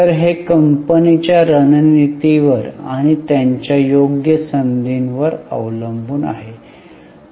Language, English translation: Marathi, So, it depends on the strategy of the company and on the opportunities which they have